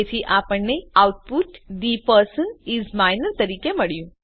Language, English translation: Gujarati, So, we got the output as The person is minor